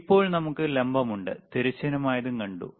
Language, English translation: Malayalam, So now, we have the vertical, we have seen the horizontal